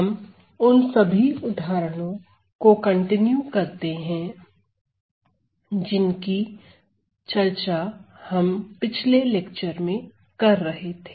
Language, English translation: Hindi, So, I am going to continue the sequence of examples that we were discussing in the last lecture